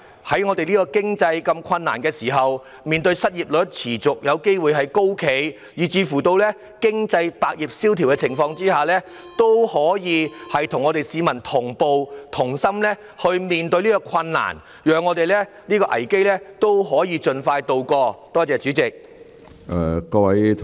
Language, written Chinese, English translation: Cantonese, 在我們的經濟如此困難，在面對失業率有機會持續高企，以及百業蕭條的情況下，政府須與市民同步及同心面對，讓我們可以盡快渡過這個危機。, When our economy is tough high unemployment rate possibly sustain and all industries are experiencing downturns the Government must tackle the problems for the people with heart and empathy so that we can weather this crisis as soon as possible